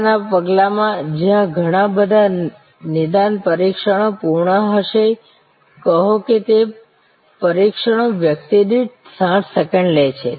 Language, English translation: Gujarati, In the next step where lot of diagnostic tests will be done say that those tests takes 60 seconds per person